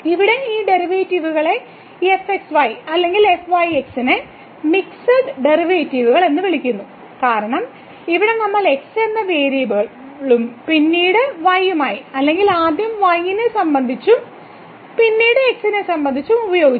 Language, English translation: Malayalam, And these derivatives here or are called the mixed derivatives, because here we have used both the variables and then with respect to or first with respect to then with respect to